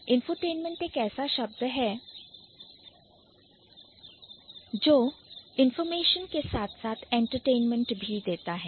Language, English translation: Hindi, So, infotentment is a word which has contents like information as well as entertainment